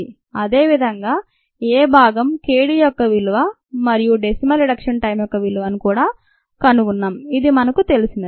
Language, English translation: Telugu, and also we found in part a the value of k d and the value of the decimal reduction time